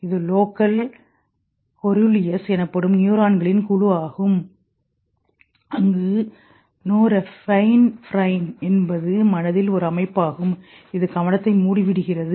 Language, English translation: Tamil, That this group of neurons called locust serulius where norapinephrine is a system of mind which gaites attention